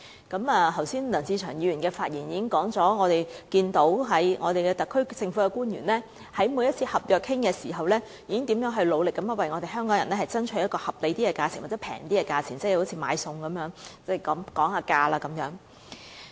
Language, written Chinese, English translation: Cantonese, 剛才梁志祥議員已在其發言中提到，我們可看到特區政府官員在每次商討合約時，如何努力為香港人爭取一個合理或較便宜的價錢，正如買菜時議價一般。, Just now Mr LEUNG Che - cheung has mentioned in his speech that we can see how hard have the officials of the SAR Government tried to strive for a reasonable or lower price for the Hong Kong people in the same manner as we negotiate for a better deal when shopping at the market